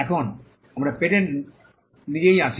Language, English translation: Bengali, Now, we come to the patent itself